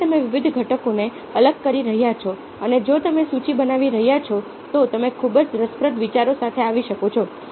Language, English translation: Gujarati, again, you are isolating the different components and if you are making a list, you can come up with very interesting ideas